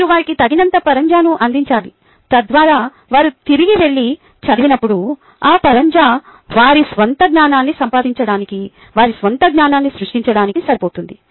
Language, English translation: Telugu, you need to provide them with enough scaffolding so that, when they go back and read, that scaffolding is good enough for them to make up their own knowledge, to create their own knowledge